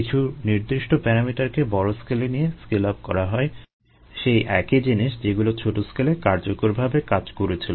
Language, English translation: Bengali, the scale up is done by keeping certain parameters at the large scale the same as the ones that were effective at the small scale